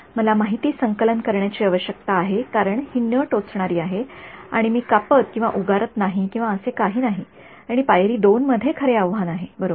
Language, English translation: Marathi, Data collection is all I need to do because its non invasive I am not going and cutting or prodding or anything like that and step 2 is where the real challenge is, right